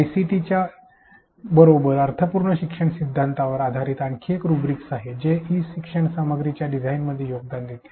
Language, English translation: Marathi, Here is another rubric based on the theory of meaningful learning with ICT that contributes towards a design of e learning content